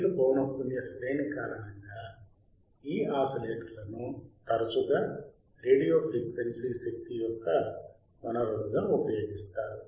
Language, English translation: Telugu, Due to higher frequency range, these oscillators are often used asfor sources of radio frequency energy ok